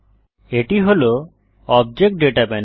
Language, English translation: Bengali, This is the Object Data panel